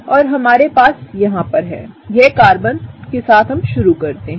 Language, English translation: Hindi, And what we have here is; let’s start with the Carbon